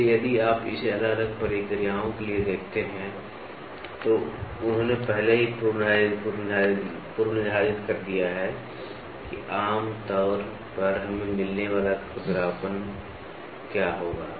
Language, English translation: Hindi, So, if you look at it for varying processes for varying processes, they have already predefined what will be the roughness generally we get